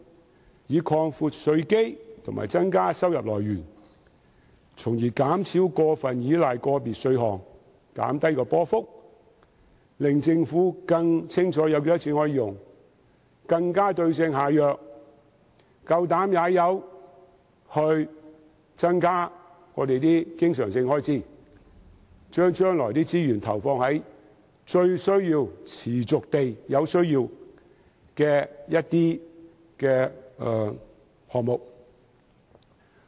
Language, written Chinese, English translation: Cantonese, 政府應擴闊稅基及增加收入來源，從而減少過分依賴個別稅項，減低政府收入波幅，令政府更清楚可用的款額，更能對症下藥，敢於增加經常性開支，把將來的資源投放在持續最有需要的項目。, The Government should broaden its tax base and expand the sources of its revenue so as to reduce its excessive reliance on certain types of taxes and minimize the fluctuation of government revenue . As such the Government will have a better picture of the amount of money at its disposal to better suit the remedy to the case dare to increase recurrent expenditure and commit future resources to items where resources are most needed persistently